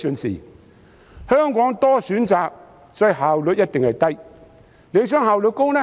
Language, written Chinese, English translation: Cantonese, 在香港有很多選擇，因此效率一定低。, With numerous choices in Hong Kong the efficiency will certainly be low